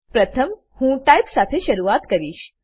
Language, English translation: Gujarati, First, I will begin with Type